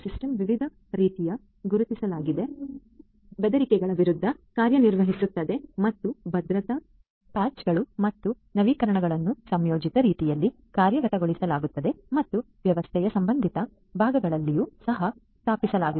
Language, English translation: Kannada, The system works against different types of identified threats and the security patches and updates are implemented in a timely fashion and are also installed in the relevant parts of the system and so on